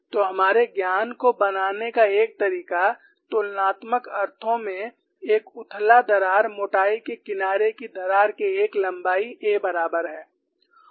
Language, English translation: Hindi, So, one way of making our knowledge in a comparative sense, a shallow crack is equivalent to a through the thickness edge crack of length a